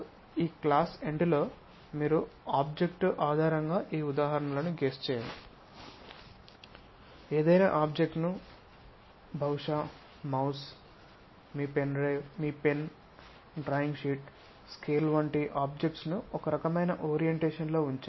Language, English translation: Telugu, So, end of this class you have to guess these examples based on the object; pick any object perhaps mouse, may be your pen, may be a drawing sheet, scale, this kind of things keep it at different kind of orientation